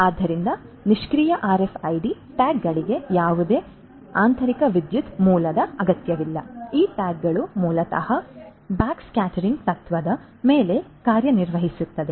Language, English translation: Kannada, So, passive RFID tags do not require any internal power source, they these tags basically work on the principle of backscattering